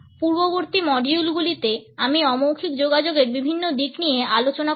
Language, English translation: Bengali, In the preceding modules, I have discussed various aspects of nonverbal communication with you